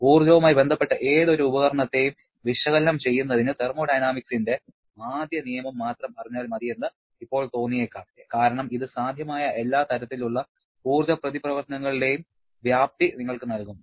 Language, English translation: Malayalam, Now, it may seem that just knowing the first law of thermodynamics alone is sufficient for analyzing any energy associated device because that will give you the magnitude of all possible kind of energy interaction